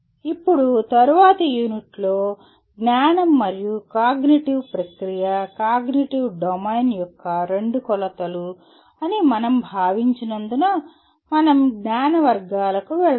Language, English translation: Telugu, Now in the next unit, we will be moving on to the categories of knowledge as we considered knowledge and cognitive process are the two dimensions of cognitive domain